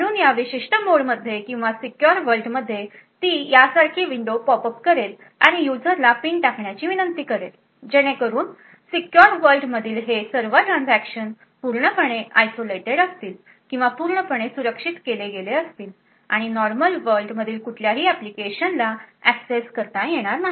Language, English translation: Marathi, So in this particular mode or the secure world it would pop up a window like this and request the user to enter a PIN so all of this transactions in the secure world is completely isolated or completely done securely and not accessible from any of the applications present in the normal world